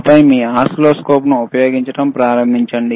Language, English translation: Telugu, So, this is how the oscilloscopes are used,